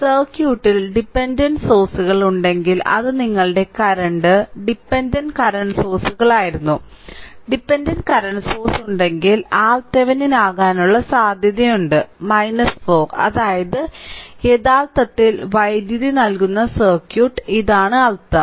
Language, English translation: Malayalam, So, if dependent sources are there in the circuit right, there it was a one your current dependent current source was there, if dependent current source is there, then there is a possibility that R Thevenin may become minus 4 that means, circuit actually supplying the power this is the meaning right